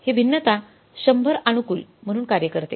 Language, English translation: Marathi, This way is variance works out as 100 but favorable